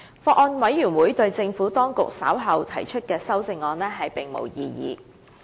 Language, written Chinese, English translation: Cantonese, 法案委員會對政府當局稍後提出的修正案並無異議。, The Bills Committee has no objection to the amendments to be introduced by the Administration later